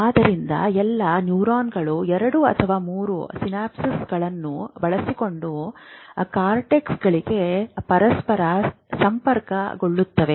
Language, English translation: Kannada, So all neurons will be connected to each other within the cortex with 2 or 3 synapses